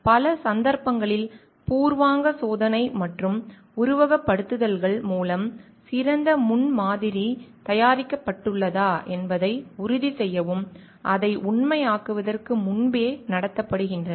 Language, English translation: Tamil, In many cases, preliminary test and simulations are conducted out to make sure that the best prototype is prepared and before it is taken further to making it a reality